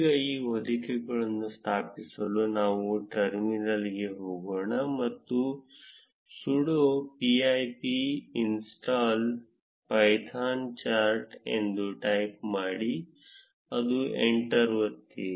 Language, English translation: Kannada, Now, to install this wrapper, let us go to the terminal and type sudo pip install python highcharts and press enter